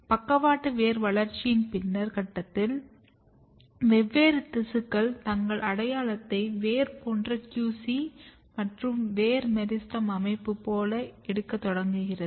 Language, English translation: Tamil, And then at later stage of the lateral root development different tissues start taking their identity like a typical root and here again if you recall; if you remember the QC and root meristem organization